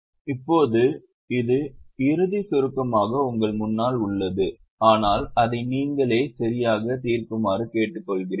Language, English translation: Tamil, Now, this is in front of you in final shot, but I request you to properly solve it yourself